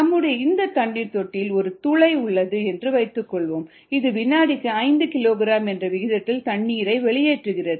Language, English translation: Tamil, suppose there is a hole in the tanker which oozes water at the rate of five kilogram per second